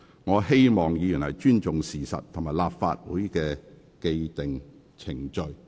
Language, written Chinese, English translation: Cantonese, 我希望議員尊重事實及立法會的既定機制。, I call on Members to respect the facts and the established mechanism of the Legislative Council